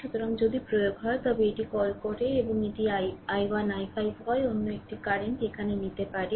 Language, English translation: Bengali, So, if you apply you have what you call this ah and it is i 1 i 5 another current here you can take here